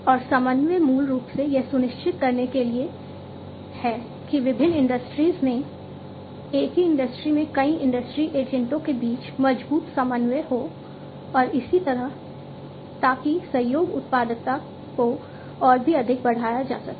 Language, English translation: Hindi, And coordination is basically to ensure that there is stronger coordination between multiple industry agents in the same industry, across different industries, and so on, so that the collaboration productivity can be increased even further